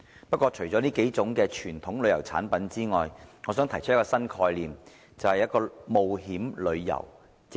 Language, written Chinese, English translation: Cantonese, 不過，除了這數種傳統旅遊產品之外，我想提出一個新概念，便是冒險旅遊。, However apart from these kinds of traditional tourism products I would like to put forward a new concept namely adventure tourism